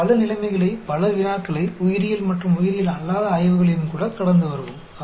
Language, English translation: Tamil, We will come across in many situations, in many problems, even in biology and non biological studies as well